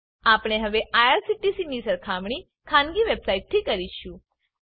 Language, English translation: Gujarati, We will now compare IRCTC with Private website